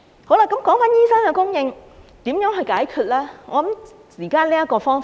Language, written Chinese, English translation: Cantonese, 好了，提到醫生的供應，如何解決呢？, Regarding the supply of doctors how can the problem be solved?